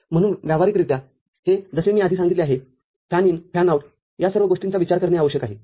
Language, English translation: Marathi, So, practically this is as I have mentioned before the fan in, fan out, all those things need to be considered